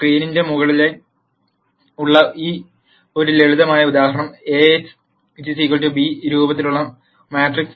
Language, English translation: Malayalam, Let us take a simple example where I have on the top of the screen, the matrix in the form A x equal to b